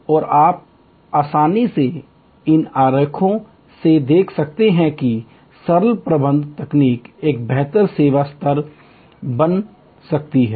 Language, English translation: Hindi, And you can easily see from these diagrams, that simple management techniques can create a much better service level